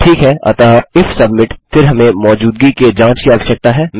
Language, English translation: Hindi, Okay, so if submit, then we need to check for existence